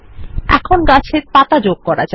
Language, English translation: Bengali, So, we have added leaves to the tree